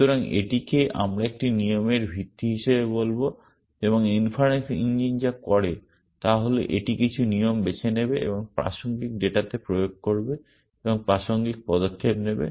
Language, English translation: Bengali, So, this is a what we would call is as a rule base and what the inference engine does is that it will pick some rule and apply it to the relevant data and do the relevant action